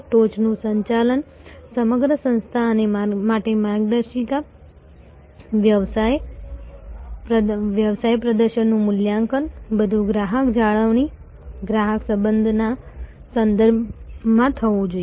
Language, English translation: Gujarati, The top management, the guideline to the entire organization, assessment of business performance, all must be made in terms of customer retention, customer relation